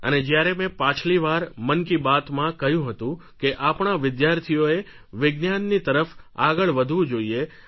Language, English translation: Gujarati, In the previous episode of Mann Ki Baat I had expressed the view that our students should be drawn towards science